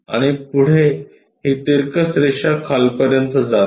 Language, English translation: Marathi, And further this incline line goes all the way down